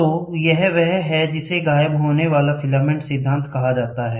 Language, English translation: Hindi, So, this is what is called a disappearing filament principle